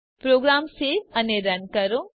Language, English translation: Gujarati, Save and Run the program